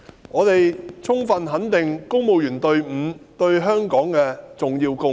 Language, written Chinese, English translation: Cantonese, 我們充分肯定公務員隊伍對香港的重要貢獻。, We fully recognize the important contribution made by the civil service to Hong Kong